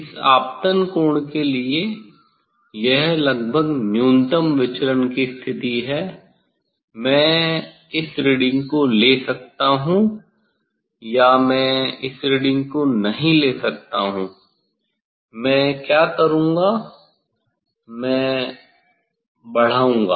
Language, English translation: Hindi, For this incident angle approximately, this is the minimum deviation position I can take this reading, or I may not take this reading what I will do; I will increase